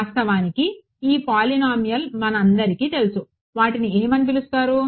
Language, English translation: Telugu, In fact, these polynomials we all know what are they called